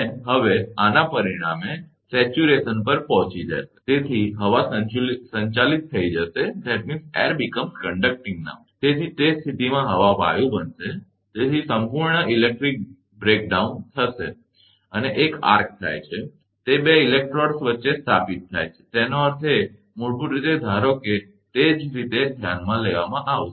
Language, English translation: Gujarati, Now, as a result of this, the saturation will be reached and therefore, the air becomes conducting, in that case that air will become conducting, hence a complete electric breakdown will be there, and it occurs an arc and is established between the two electrodes; that means, basically suppose it is same way will considered